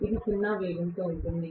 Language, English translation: Telugu, It is at zero speed